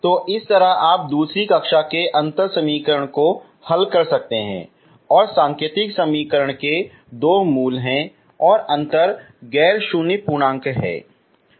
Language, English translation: Hindi, So this is how you can solve in second order differential equation and the indicial equation has two roots and the difference is integer, okay, non zero integer